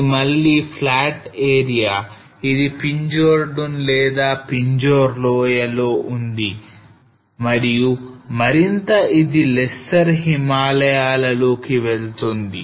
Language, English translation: Telugu, This is again in flat area which is in Pinjore Dun or in Pinjore valley and further getting into the lesser Himalayas here